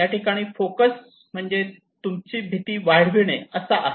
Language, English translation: Marathi, So here the focus is on to increase the fear only